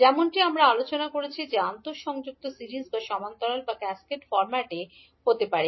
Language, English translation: Bengali, As we discussed that interconnection can be either in series, parallel or in cascaded format